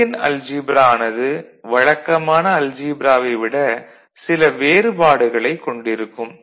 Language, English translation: Tamil, So, that is again one unique thing about a Boolean algebra unlike the ordinary algebra